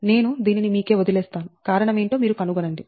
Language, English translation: Telugu, i will just leave it to you that you find out that what is the reason